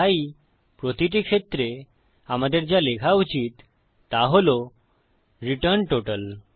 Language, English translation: Bengali, So, in each case what we should say is return total